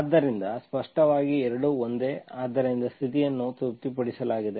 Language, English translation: Kannada, So clearly both are same, so the condition is satisfied